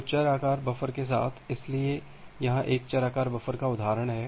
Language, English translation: Hindi, So, with the variable size buffer, so here is an example of a variable size buffer